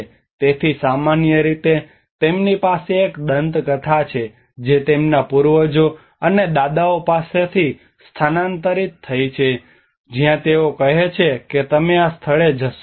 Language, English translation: Gujarati, So normally they have a myths which has been transferred from their forefathers and grandfathers where they say that you don not go to this place